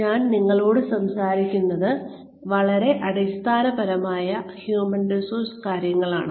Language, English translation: Malayalam, What I am talking to you, is very very, basic human resources stuff